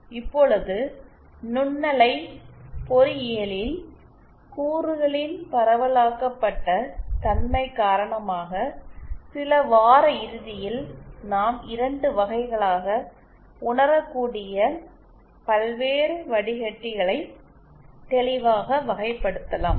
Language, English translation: Tamil, Now, in microwave engineering, because of the distributed nature of the components, it some weekend we can clearly classify the various filters that can be realised into 2 categories